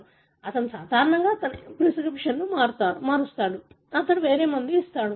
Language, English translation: Telugu, You know, he, normally he will change the prescription, he will give some other drug